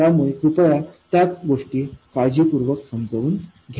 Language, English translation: Marathi, Please understand all of those things carefully